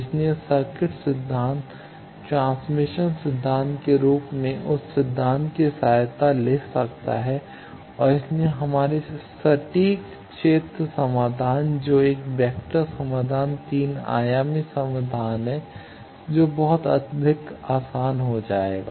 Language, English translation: Hindi, So, the circuit theory in the form of transmission line that theory we can take the help of and so our exact field solutions which is a vector solution three dimensional solution that will become much more easier